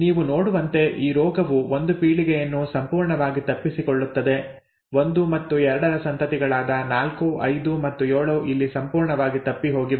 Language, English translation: Kannada, As you can see this disease misses a generation completely; 4, 5 and 7 who are offspring of 1 and 2, is completely missed here, okay